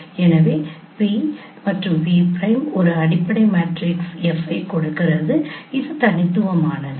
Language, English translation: Tamil, So, p p prime gives a fundamental matrix if it is unique